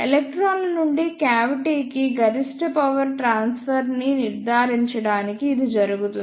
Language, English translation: Telugu, This is done to ensure the ah maximum power transfer from electrons to the cavity